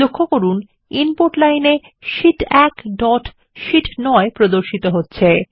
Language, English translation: Bengali, Notice, that in the Input line the statement Sheet 1 dot C9, is displayed